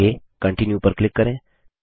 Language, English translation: Hindi, Next, click on Continue